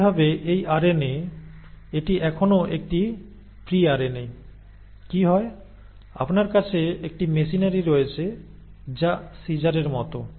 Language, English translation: Bengali, Similarly this RNA, it is still a pre RNA, right, what happens is you have a machinery, which are like scissors